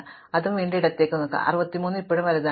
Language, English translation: Malayalam, So, I will move it left again, 63 is still bigger